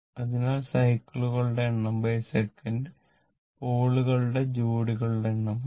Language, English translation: Malayalam, So, number of cycles per second actually it will be number of pair of poles, right